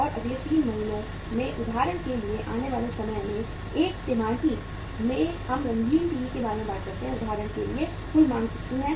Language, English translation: Hindi, And in the time to come for example in the next 3 months, in 1 quarter how much is going to be the total demand for example we talk about the colour TVs